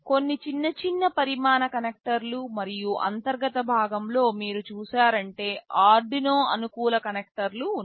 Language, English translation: Telugu, There are some black smaller sized connectors and at the internal part you can see, these are the Arduino compatible connectors